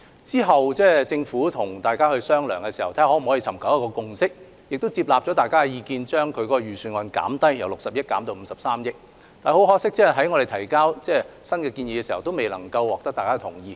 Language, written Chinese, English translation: Cantonese, 之後，政府與委員商量，尋求共識，並接納委員的意見，將預算造價由60億元減至53億元，但很可惜，我們當時的修訂建議亦未能獲得委員的同意。, Subsequently the Government communicated with members for seeking a consensus among them and reduced the estimated cost from 6 billion to 5.3 billion on their advice . Regrettably however our revised proposal then still could not be agreed on by members